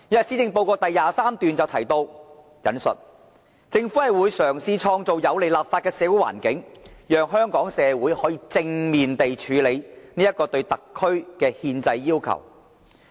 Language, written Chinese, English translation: Cantonese, 施政報告第23段提到：[政府會]"嘗試創造有利立法的社會環境，讓香港社會可以正面地處理這個對特區的憲制要求"。, Paragraph 23 said I quote [the Government would] seek to create a favourable social environment for the community to handle this constitutional obligation of the HKSAR in a positive manner